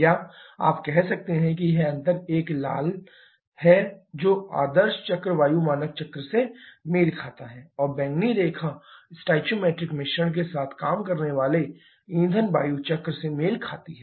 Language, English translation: Hindi, Or you can say this difference is the red one corresponds to the ideal cycle air standard cycles and the purple line corresponds to fuel air cycle working with stoichiometric mixture